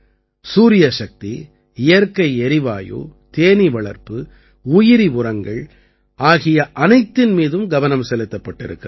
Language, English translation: Tamil, There is complete focus on Solar Energy, Biogas, Bee Keeping and Bio Fertilizers